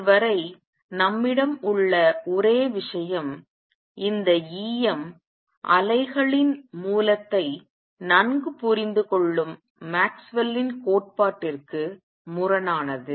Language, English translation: Tamil, So far, the only thing that we have is this is in contrast with is the Maxwell’s theory where source of E m waves is well understood